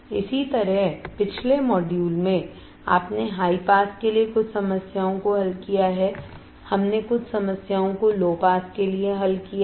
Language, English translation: Hindi, Similarly, in the previous module you have solved some problems for high pass we have solved some problem for low pass